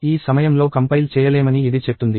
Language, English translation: Telugu, It says could not compile at this time